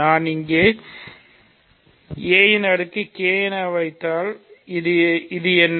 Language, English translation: Tamil, So, if I put a power k here, what is this